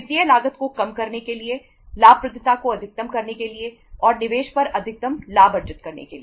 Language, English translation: Hindi, To minimize the financial cost, maximize the profitability and to earn the maximum return on the investment